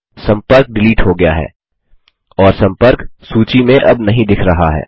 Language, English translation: Hindi, The contact is deleted and is no longer displayed on the contact list